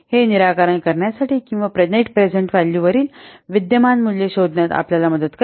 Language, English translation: Marathi, This will help you for solving or for finding out the present values and the next present values